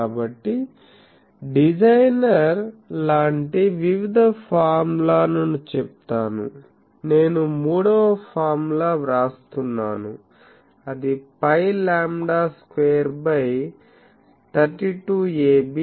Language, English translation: Telugu, So, people use various designer like various formula just to mention I am writing the third formula is pi lambda square by 32 a b, then D E into D H